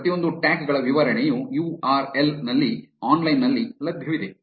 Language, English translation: Kannada, The explanation for each of these tags is available online at this URL